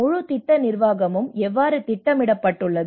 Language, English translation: Tamil, how is the whole project management schedule